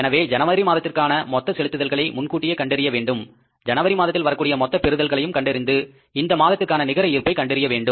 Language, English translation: Tamil, So, it means total payments we have to assess in advance to be made in the month of January, total receipts we have to assess in advance to be received in the month of January and we have to try to find out the net balance